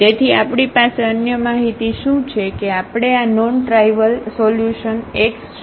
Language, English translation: Gujarati, So, what is other information we have that we are looking for this non trivial solution x